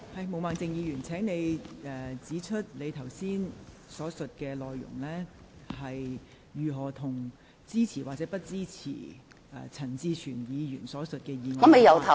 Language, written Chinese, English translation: Cantonese, 毛孟靜議員，請你指出你剛才所述的內容，如何與支持或不支持陳志全議員提出的議案有關。, Ms Claudia MO please point out how the remarks you made earlier are related to your support for the motion proposed by Mr CHAN Chi - chuen or otherwise